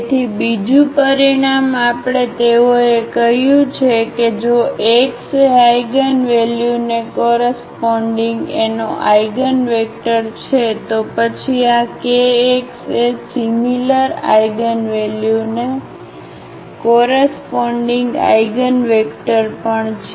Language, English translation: Gujarati, So, another result we have they said if x is an eigenvector of A corresponding to the eigenvalue lambda, then this kx is also the eigenvector corresponding to the same eigenvalue lambda